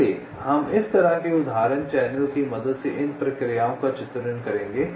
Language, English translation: Hindi, so we shall be illustrating this processes with the help of an example channel like this